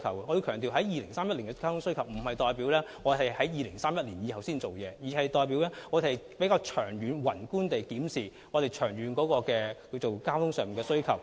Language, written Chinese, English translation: Cantonese, 我要強調 ，2031 年的交通需求並不代表我們在2031年後才處理，而是我們會從長遠及宏觀的角度，檢視交通的長遠需求。, I must emphasize that we will not wait until after 2031 to address our transport needs in 2031 . The long - term transport needs will be reviewed from long - term and macroscopic perspectives